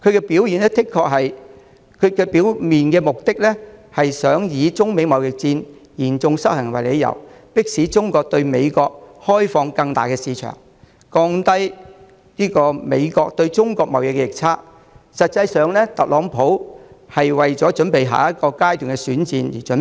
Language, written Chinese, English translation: Cantonese, 表面上，特朗普的目的是想以中美貿易嚴重失衡為理由，迫使中國對美國開放更大的市場，降低美國對中國貿易逆差，但實質上，他是為下一階段的選戰作準備。, On the surface President TRUMPs intention is to use the serious imbalance of trade between China and the United States as the justification for forcing China to further open up its market to reduce the trade deficit of the United States with China . But the truth is that he is making preparations for the next round of electioneering